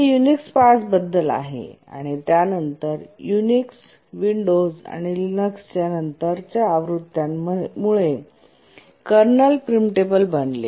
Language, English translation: Marathi, Of course, we are talking of Unix 5 and then the latter versions of Unix and the Windows and the Linux, they did make the kernel preemptible